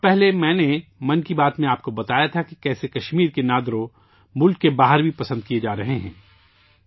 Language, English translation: Urdu, Some time ago I had told you in 'Mann Ki Baat' how 'Nadru' of Kashmir are being relished outside the country as well